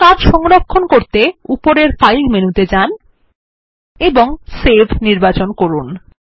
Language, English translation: Bengali, Let us save our work by using the File menu at the top and choosing Save